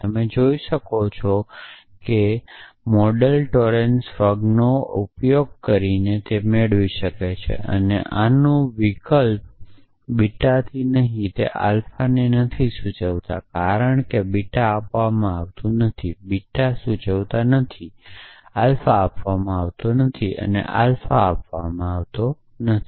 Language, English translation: Gujarati, So, you can see the modus Tollens can derive using Frg one essentially and substitute this with not beta implies not alpha and that then it becomes like modus ponens because not beta is given not beta implies not alpha is given and not alpha is given